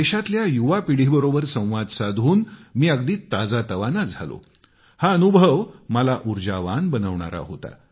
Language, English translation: Marathi, To be amongst the youth of the country is extremely refreshing and energizing